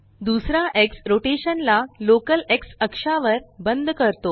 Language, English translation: Marathi, The second X locks the rotation to the local X axis